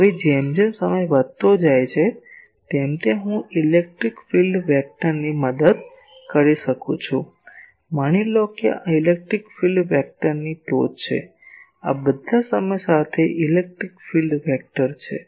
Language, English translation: Gujarati, Now as time progresses I can the electric field vector tip; suppose this is the tip of electric field vector, these are all electric field vector with time